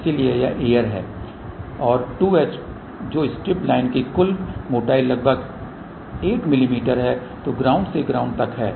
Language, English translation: Hindi, So, this is air ok and 2 h which is the total thickness of the strip line is about 8 mm which is from ground to ground